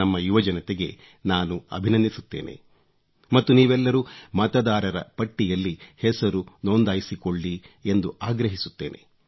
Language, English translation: Kannada, I congratulate our youth & urge them to register themselves as voters